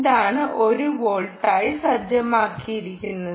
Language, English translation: Malayalam, the input, you can see, is set to one volt